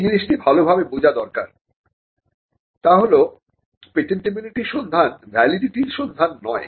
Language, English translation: Bengali, Now one thing that needs to be understood well is that a patentability search is not a search of validity